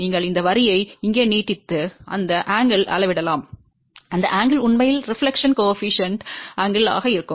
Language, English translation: Tamil, You simply extend this line over here and measure this angle, whatever is that angle will be the actually reflection coefficient angle